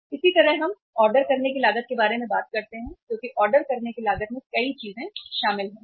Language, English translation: Hindi, Similarly, if we talk about the ordering cost because ordering cost involves many things